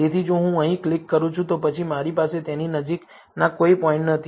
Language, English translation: Gujarati, So, if I click here, then I do not have any points closest to it